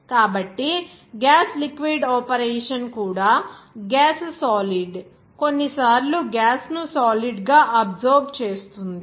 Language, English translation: Telugu, So, that will also be that gas liquid operation even gas solid sometimes absorption of gas into solid